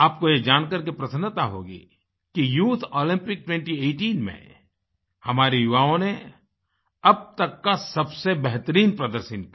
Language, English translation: Hindi, You will be pleased to know that in the Summer Youth Olympics 2018, the performance of our youth was the best ever